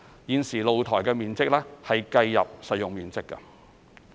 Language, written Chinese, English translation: Cantonese, 現時露台面積計入實用面積。, At present the area of balconies is included under saleable area